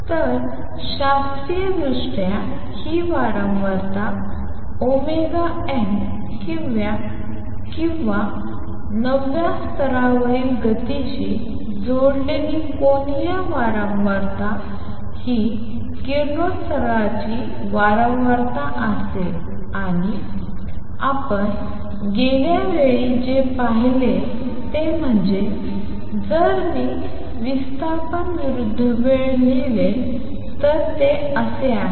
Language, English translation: Marathi, So, classically this frequency omega n or the angular frequency connected with the motion in the nth level will be the frequency of radiation and what we saw last time is that if I write its displacement verses time, it is like this